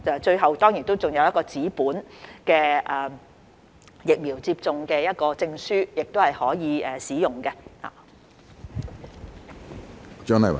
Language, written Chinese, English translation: Cantonese, 最後，當然還有一張紙本的疫苗接種證書可供使用。, Finally there certainly is a paper vaccination certificate for use by the public too